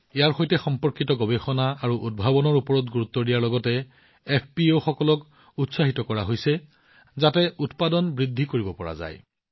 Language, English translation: Assamese, Along with focusing on research and innovation related to this, FPOs are being encouraged, so that, production can be increased